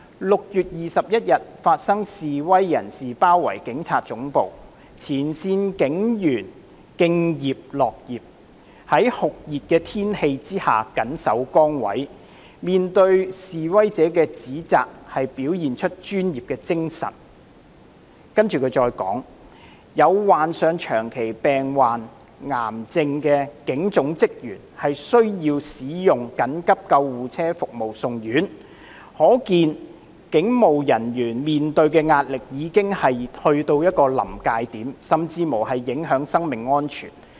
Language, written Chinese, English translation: Cantonese, 6月21日發生示威人士包圍警察總部，前線警員敬業樂業，在酷熱天氣下緊守崗位，面對示威者的指責表現出專業精神，更有患上長期病患、癌症的警總職員需要使用緊急救護車服務送院，可見警務人員面對的壓力已經到達一個臨界點，甚至影響生命安全。, When protesters besieged the Police Headquarters on 21 June frontline police officers had shown dedication and respect for their jobs in the sweltering heat and displayed professionalism in the face of criticisms from protesters . Some staff members in the Police Headquarters being chronically ill or cancer patients were even sent to hospital by emergency ambulance service . It shows that the stress faced by police officers has reached a breaking point and even their personal safety is at stake